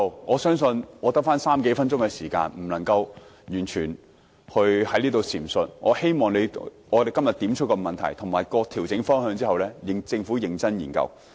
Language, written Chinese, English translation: Cantonese, 我相信在餘下的3至4分鐘發言時間，我不能完全闡述，但我希望今天點出問題和調整方向後，政府能認真研究。, I believe I will not be able to give a full account in the remaining three to four minutes of my speaking time but still I hope the Government can conduct a serious study after I have highlighted the problems and adjustment direction today